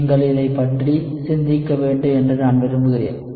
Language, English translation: Tamil, I want you to think about it